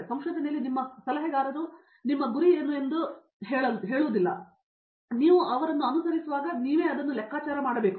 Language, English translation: Kannada, In research even your adviser doesn’t tell you what is your goal you kind of have to figure it out as you go along so